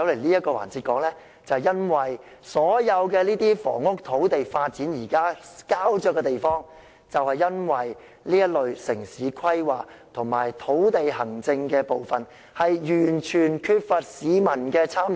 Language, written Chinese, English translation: Cantonese, 現時所有房屋和土地的發展膠着，就是因為城市規劃及土地行政完全缺乏市民的參與。, The current stalemate of housing and land development is a result of the total lack of public participation in urban planning and land administration